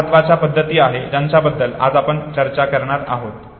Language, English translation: Marathi, Four important methods we would talk about today